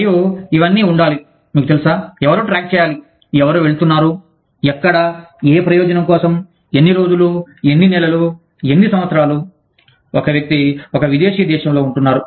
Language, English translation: Telugu, And, all of that has to be, you know, somebody has to keep track of, who is going, where, for what purpose, how many days, how many months, how many years, a person is staying in a foreign country